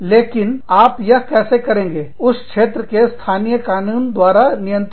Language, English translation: Hindi, But, how do you do that, will be governed, by the local laws, in that region